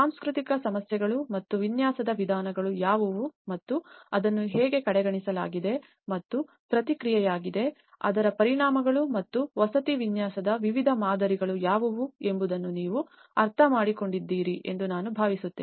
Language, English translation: Kannada, I hope you understand the cultural issues and what are the ways of designing and how it has been overlooked and as a response what are the consequences of it and what are the various models of designing the housing